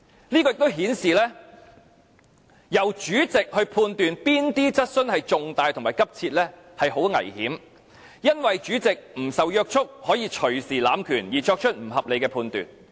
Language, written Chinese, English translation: Cantonese, 這亦顯示，由主席判斷哪些質詢屬於與公眾有重大關係及性質急切是很危險的事，因為主席不受約束，可以動輒濫權而作出不合理判斷。, This also shows that it is dangerous to have the power rested with the President in judging which question relates to a matter of public importance and is of an urgent character because the President is not subject to any control and can arbitrarily abuse his power into making irrational judgment